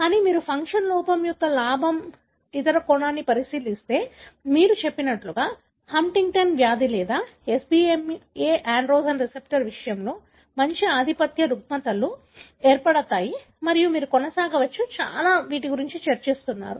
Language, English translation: Telugu, But, if you look into the other aspect that is the gain of function defect, a good number of the dominant disorders are caused by gain of function defect, like you said, Huntington disease or SBMA in case of androgen receptor and you can go on discussing many, many